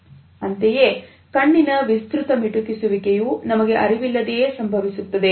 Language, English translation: Kannada, Similarly, you would find that extended blinking also occurs in an unconscious manner